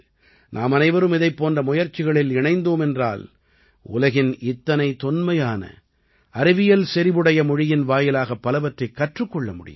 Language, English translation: Tamil, If we all join such efforts, we will get to learn a lot from such an ancient and scientific language of the world